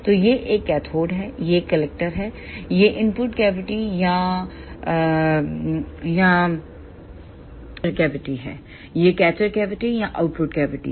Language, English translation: Hindi, So, this is a cathode, this is the collector, ah this is the input cavity or buncher cavity, this is the catcher cavity or output cavity